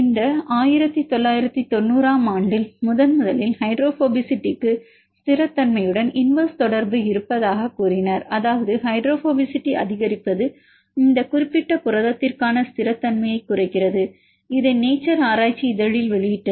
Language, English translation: Tamil, In this case the first time they reported in 1990 that the hydrophobicity has inverse relation with stability; that means, increasing hydrophobicity decreases stability for this particular protein and they published a paper in nature